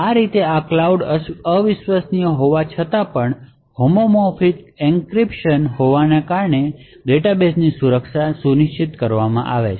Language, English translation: Gujarati, In this way even though this cloud is un trusted the security of the database is ensured because of the homomorphic encryption present